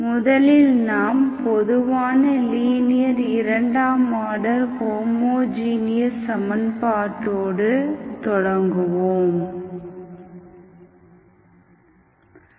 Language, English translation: Tamil, We will start with the general linear second order homogeneous equation